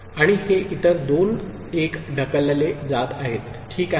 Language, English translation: Marathi, And these other two 1s are getting pushed, ok